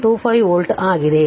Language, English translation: Kannada, 25 volt right